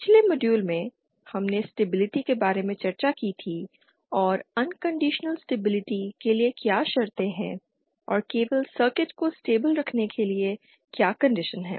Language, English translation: Hindi, In the previous module, we had discussed about stability and what are the conditions for unconditional stability and what is the condition for just keeping the circuit stable